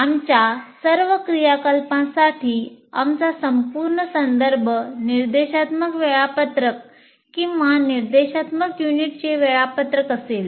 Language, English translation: Marathi, So our entire reference for all our activities will be the instruction schedule or the schedule of instructional units